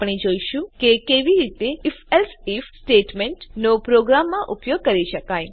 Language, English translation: Gujarati, We will see how the If…Else If statementcan be used in a program